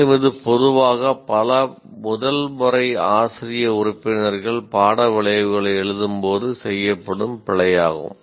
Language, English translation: Tamil, And this is a generally an error that is committed by when first time many faculty members write the course outcomes